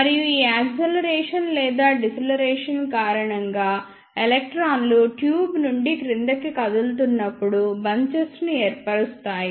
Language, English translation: Telugu, And because of this acceleration and deceleration, electrons form bunches as they move down the tube